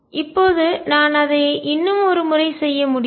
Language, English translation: Tamil, Now, I can do it one more time